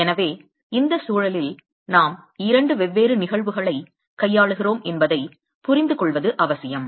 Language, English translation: Tamil, So, it's important to understand that we are dealing with two different phenomena in this context